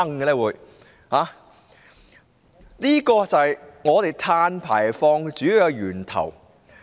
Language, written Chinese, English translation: Cantonese, 這便是香港碳排放的主要源頭。, This is exactly the main source of carbon emissions in Hong Kong